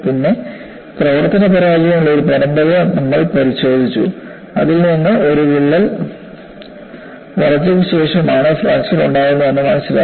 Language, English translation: Malayalam, Then, we looked at series of service failures, which brought out, definitely, there is a crack growth phase followed by fracture